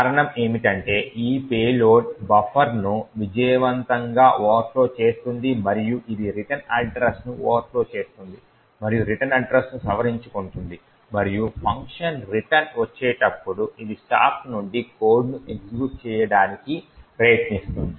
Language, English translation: Telugu, The reason being is that this payload would successfully overflow the buffer and it will overflow the return address and modify the return address and at the return of the function it would try to execute code from the stack